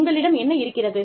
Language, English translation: Tamil, What you have